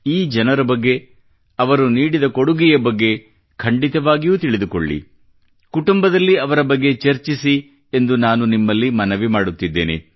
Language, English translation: Kannada, I urge all of you to know more about these people and their contribution…discuss it amongst the family